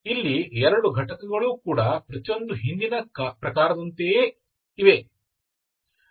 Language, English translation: Kannada, So you are 2 components, each of this is like earlier type